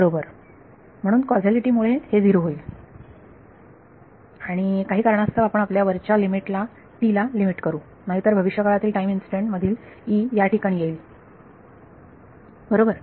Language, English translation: Marathi, Right so, due to causality this will becomes 0 due to causality and for the same reason we are going to limit our upper limit to t right otherwise this will like E at future time instance will also come over here right